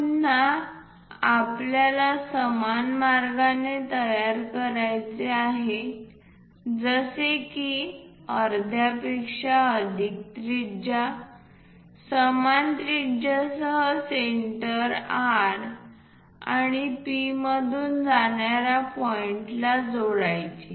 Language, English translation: Marathi, Again, we have to construct similar way with radius more than half of it centre R with the same radius join these points which will pass through P